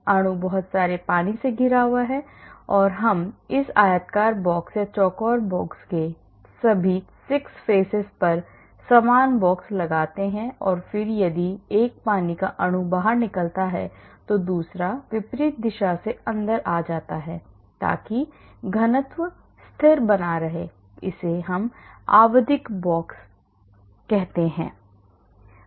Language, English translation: Hindi, The molecule is inside surrounded by lots of water and we assume similar box on all the 6 faces of this rectangular box or the square box and then if a water molecule goes out then another comes in from the opposite direction so that the density is maintained constant that is called periodic box